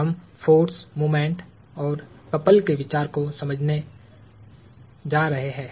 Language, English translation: Hindi, We are going to understand the idea of a force, a moment or a couple